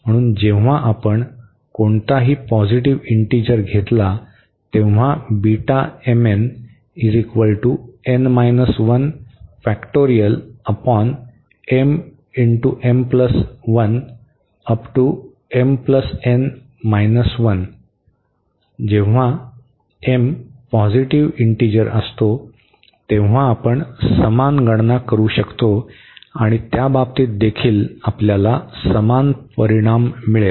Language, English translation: Marathi, And, we can do the same similar calculations when m is a positive integer and in that case also we will get a similar result